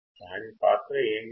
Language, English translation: Telugu, What is the role of this